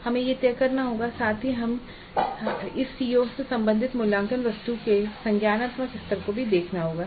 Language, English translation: Hindi, This we will discuss again in detail but we have to decide on the cognitive levels of the assessment items related to this CO